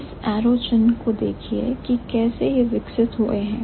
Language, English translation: Hindi, Look at the arrow mark and see how they have evolved